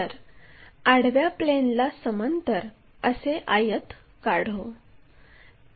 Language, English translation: Marathi, So, a rectangle parallel to horizontal plane